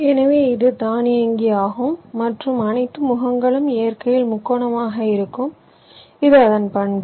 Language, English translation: Tamil, ok, so it is automatic, and all the faces will be triangular in nature